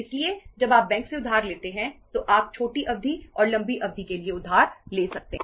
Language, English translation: Hindi, So when you borrow from the bank you can borrow for the short term, short period and for the long period